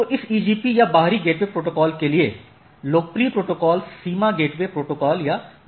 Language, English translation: Hindi, So, one of the popular or the protocol for this EGP or exterior gateway protocols is border gateway protocol or BGP